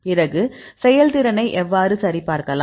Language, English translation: Tamil, Then how to validate the performance